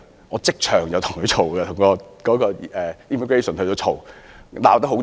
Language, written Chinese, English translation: Cantonese, 我即場與當地入境人員理論，把事情鬧大。, I argued with local immigration officers on the spot and the argument escalated